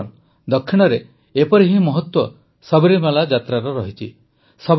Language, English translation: Odia, Friends, the Sabarimala Yatra has the same importance in the South